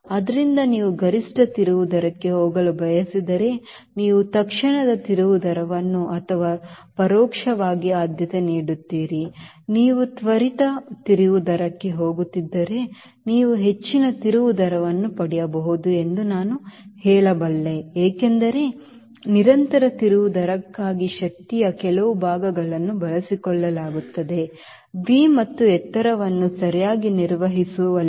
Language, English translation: Kannada, so if you want to go for maximum turn rate, you prefer instantaneous turn rate or indirectly i can say you can get higher turn rate if you are going for instantaneous turn rate, because for sustained turn rate some part of energy will be utilized in maintaining v and the altitude, right